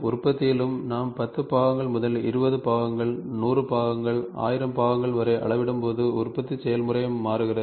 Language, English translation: Tamil, In manufacturing also, when we as and when we scale up from 10 part to 20 parts, 100 parts, 1000 parts the manufacturing process also changes